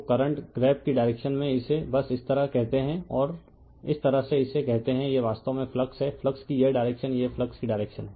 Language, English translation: Hindi, So, in the direction of the current you grabs it right just you call it like this and this way this is that you are what you call this is the flux actually , this direction of the flux this is the direction of the flux